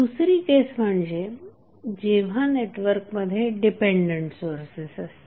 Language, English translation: Marathi, Second case would be the case when network has dependent sources